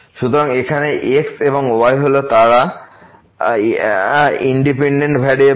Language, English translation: Bengali, So, here x and y they are the independent variable